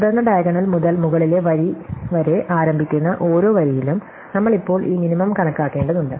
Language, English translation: Malayalam, Then for every row starting from the diagonal up to the top row, we now need to compute this minimum